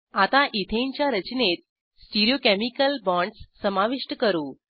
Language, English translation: Marathi, Now let us add Stereochemical bonds to Ethane structure